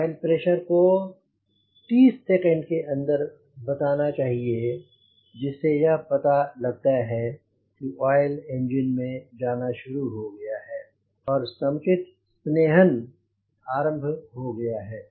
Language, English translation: Hindi, the oil pressure is supposed to register within thirty seconds to ensure that your oil has a started flowing within the engine and proper lubrication has started taking place